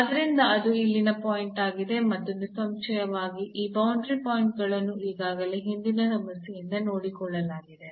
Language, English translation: Kannada, So, this is the point there and obviously, these boundary points which are already being taken care by the earlier problem